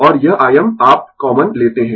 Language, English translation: Hindi, And this I m you take common